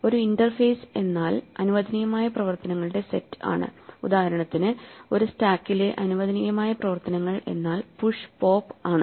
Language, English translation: Malayalam, So an interface is nothing but the allowed set of operations, for instances for a stack the allowed set of operations are push and pop